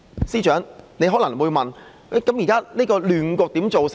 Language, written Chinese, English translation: Cantonese, 司長可能會問，現時的亂局是怎樣造成的？, The Chief Secretary may ask How did the present chaos come about